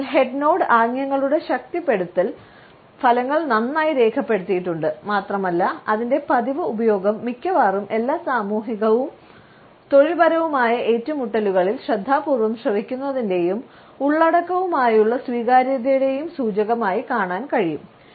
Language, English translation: Malayalam, So, the reinforcing effects of the head nod gestures have been well documented and its frequent use can be seen during almost all social and professional encounters as an indicator of attentive listening and agreement with the content